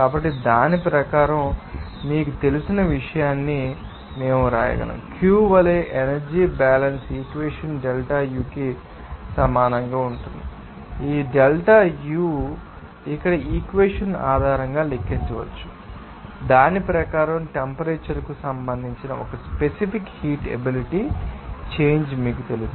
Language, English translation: Telugu, So, according to that, we can write this you know, an energy balance equation as Q will be equal to delta U and this delta, delta U will be calculated based on this equation here, according to that, you know, a specific heat capacity change with respect to temperature